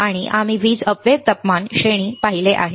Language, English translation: Marathi, So, have a duration we have seen power dissipation temperature range ok